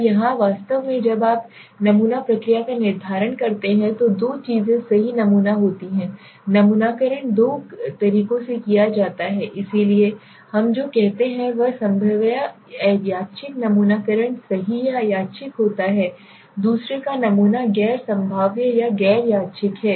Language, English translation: Hindi, Now here actually what happens when you determine the sampling procedure there are two things right sampling that is sampling is done in two ways, so one we say is probabilistic or random sampling right or random sampling the other is non probabilistic or non random okay